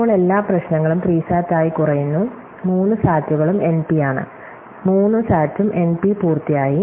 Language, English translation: Malayalam, So, every problem now reduces to SAT, the three sat is also NP, so SAT is also NP complete